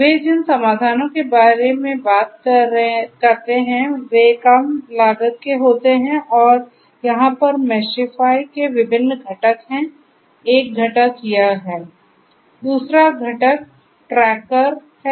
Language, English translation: Hindi, The solutions that they talk about are of low cost and there are different components over here of Meshify, one component is this Now